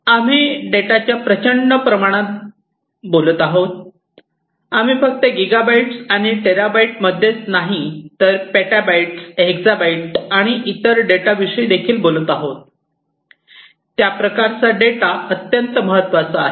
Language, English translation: Marathi, So, we are talking about huge volumes of data, we are talking about data not just in gigabytes and terabytes, we are talking about petabytes, hexabytes and so on of data, how do you store, that kind of data that is very important